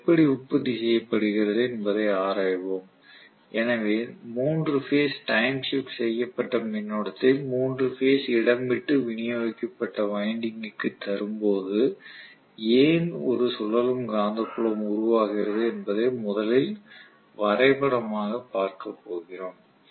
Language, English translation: Tamil, Let us first of all examine really how this is produced so we are going to look at this graphically first as to why a 3 phase time shifted current given to a 3 phase space shifted winding why it would produced a revolving a magnetic field